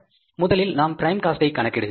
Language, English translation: Tamil, First we calculate the prime cost, then we calculate the factory cost